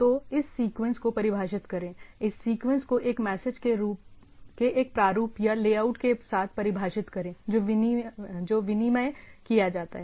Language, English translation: Hindi, So, define this sequence define this sequence together with a format or layout of the message that are exchanged